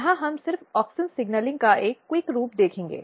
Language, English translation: Hindi, So, maybe here we will just have a quick look of auxin signalling how it happens